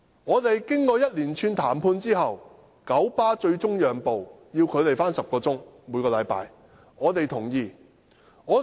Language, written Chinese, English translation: Cantonese, 雙方經一連串談判後，九巴最終讓步，只要求他們每星期上班10小時，這點我們接受。, After a series of negotiations between both sides KMB finally conceded and only requested them to work 10 hours a week . We consider this acceptable